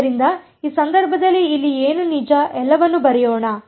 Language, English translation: Kannada, So, in the in this case over here what is let us just actually write it all out